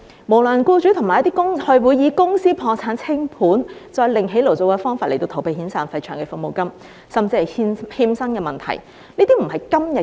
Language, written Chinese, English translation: Cantonese, 無良僱主會以公司破產清盤再另起爐灶的方法，逃避遣散費和長期服務金甚至欠薪的問題。, Unscrupulous employers can start a new business by filing for bankruptcy and liquidation to avoid the problems with severance payments long service payments and even wage defaults